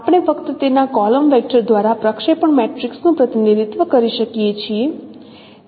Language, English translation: Gujarati, We can represent also projection matrices by their column vectors only